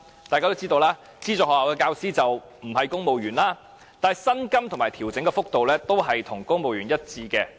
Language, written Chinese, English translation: Cantonese, 大家都知道，資助學校的教師不是公務員，但薪金和調整幅度和公務員一致。, It is common knowledge that teachers of aided schools are not civil servants but receive salaries and pay increments in accordance with the civil service rates